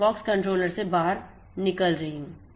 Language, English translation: Hindi, Now, the POX controller is listening